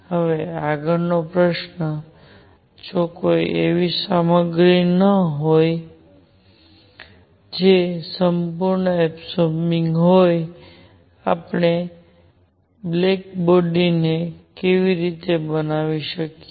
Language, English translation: Gujarati, Now next question is; if there is no material that is a perfect absorber; how do we make a black body